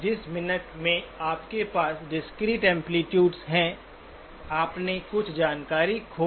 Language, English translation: Hindi, The minute you have discrete amplitudes, you have lost some information